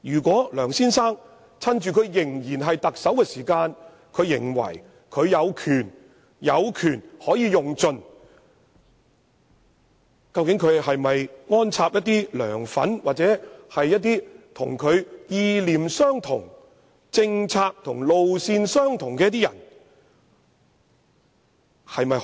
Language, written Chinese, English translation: Cantonese, 梁先生會否在自己仍擔任特首之位時，以為可有權盡用，而安插一些"梁粉"或與他意念、政策及路線相同的人進入這些組織？, Will Mr LEUNG think that he can use his power to the fullest extent while he is still in office and appoint some LEUNGs fans or people who share his beliefs policy visions and political lines to these bodies?